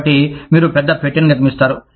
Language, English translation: Telugu, So, you build a bigger box